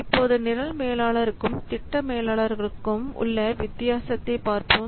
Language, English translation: Tamil, These are the differences between program managers and the project managers